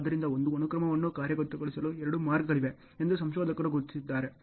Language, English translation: Kannada, So, the researchers have identified that there are two ways of executing a sequence ok